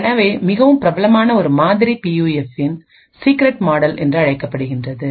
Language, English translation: Tamil, So one very popular model is something known as the secret model of PUF